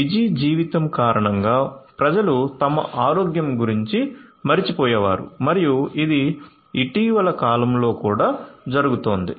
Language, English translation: Telugu, People use to forget about their health due to busy life and this as also happened in the recent past